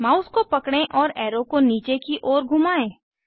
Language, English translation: Hindi, Hold the mouse and rotate the arrow to point downwards